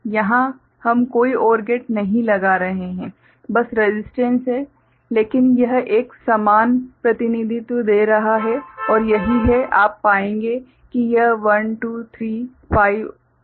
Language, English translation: Hindi, Here we are not putting any OR gate just resistance is there, but it is giving an equivalent representation and that is what, that is you will find that this is 1 2 3 5 7